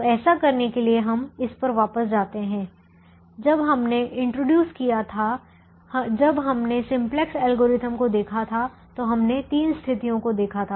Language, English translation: Hindi, when we introduced we, when we looked at the simplex algorithm, we looked at three situations